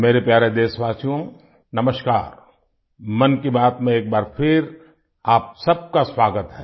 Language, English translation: Hindi, Once again a warm welcome to all of you in 'Mann Ki Baat'